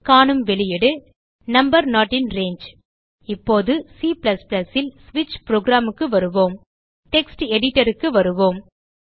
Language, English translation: Tamil, The output is displayed as: number not in range Now lets see the switch program in C++ Come back to the text editor